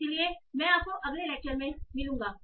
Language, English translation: Hindi, So I will see you in the next lecture